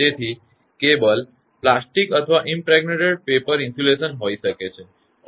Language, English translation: Gujarati, So, and its cable may be plastic or impregnated paper insulation